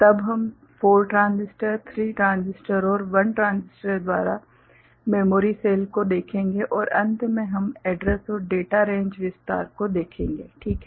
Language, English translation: Hindi, Then we shall look at memory cell by 4 transistor, 3 transistor and 1 transistor and at the end we shall look at address and data range expansion, right